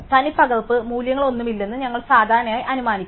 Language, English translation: Malayalam, And we typically we will assume that there are no duplicate values